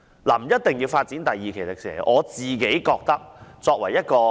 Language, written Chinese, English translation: Cantonese, 不一定要發展第二期迪士尼樂園的。, Second phase developmment of the Disneyland is not a must